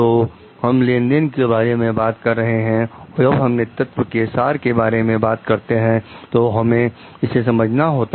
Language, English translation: Hindi, So, we are talking of a transaction so, when we talking of essence of leadership, we have to understand